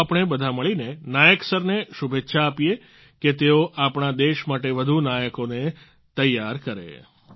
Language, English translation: Gujarati, Come, let us all wish Nayak Sir greater success for preparing more heroes for our country